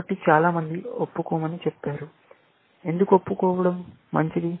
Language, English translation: Telugu, So, many people said confess; why is confess, good